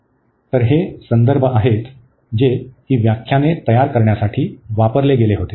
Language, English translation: Marathi, So, these are the references which were used to prepare these lectures